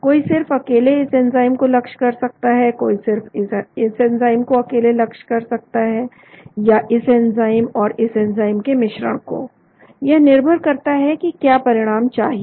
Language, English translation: Hindi, one could target this enzyme alone, one could target this enzyme alone or this enzyme or combination of this enzyme and this enzyme, depending upon what is desired